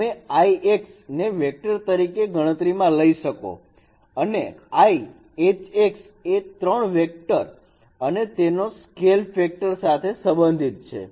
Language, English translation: Gujarati, You consider xI prime is a vector and HXI is a three vectors and they are related with the scale factor